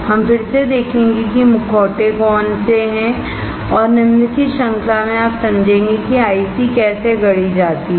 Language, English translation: Hindi, We will see what are masks again and in the following series that you will understand how the IC is fabricated